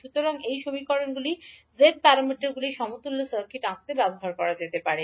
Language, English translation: Bengali, So these equations can be used to draw the equivalent circuit for g parameters